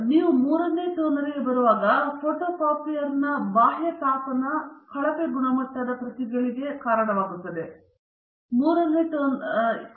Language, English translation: Kannada, So, by the time you come to the third toner, the external heating of the photocopier may lead to poor quality copies for the third toner okay